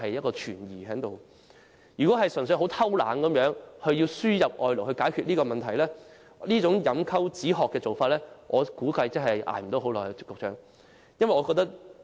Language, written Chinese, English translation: Cantonese, 局長，假如安老院"偷懶"，只希望透過輸入外勞解決問題，這種飲鴆止渴的做法，我估計支撐不了多久。, Secretary if the RCHEs are merely loafing about in the hope that the problems can be resolved through the importation of labour I reckon that this approach which is tantamount to drinking poison to quench the thirst will soon prove futile